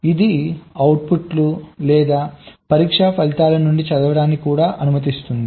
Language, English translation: Telugu, it also allows the reading out the outputs or the test results